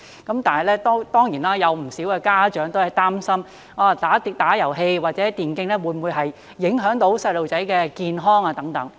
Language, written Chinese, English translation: Cantonese, 但是，當然有不少家長擔心打遊戲機或電競會否影響小朋友的健康等。, However there are certainly many parents worrying about whether playing video games or e - sports will affect the health of their children